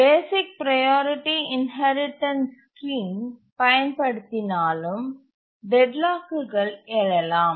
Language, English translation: Tamil, So, using the basic priority inheritance scheme, deadlocks can arise